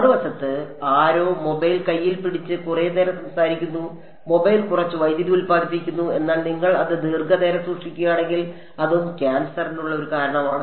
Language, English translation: Malayalam, On the other hand someone carrying the mobile next to their hand and talking for extended periods of time; mobile produces less power, but if you keep it held for a long time that is also a possible cause for cancer